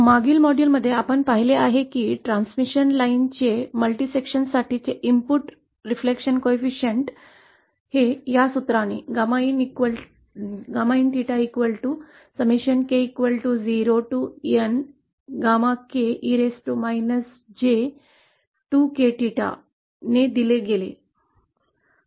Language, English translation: Marathi, Now in the previous module we have seen that for multiple sections of transmission line the input reflection coefficient is also given by this formula